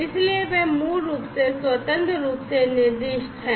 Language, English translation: Hindi, So, they are basically specified independently